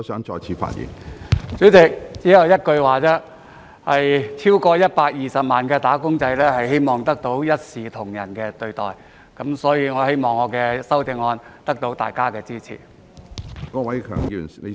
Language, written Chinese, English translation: Cantonese, 主席，只有一句話，超過120萬"打工仔"希望得到一視同仁的對待，所以我希望我的修正案得到大家的支持。, Chairman I just want to say that over 1.2 million wage earners want to be treated fairly so I hope that Members will support my amendments